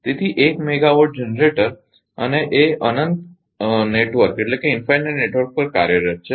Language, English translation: Gujarati, So, a 100 megawatt generator is operating onto an infinite network right